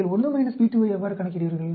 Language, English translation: Tamil, How do you calculate p2